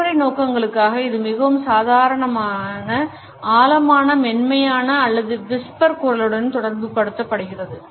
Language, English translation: Tamil, For practical purposes it could be associated with more normal deep soft or whispery voice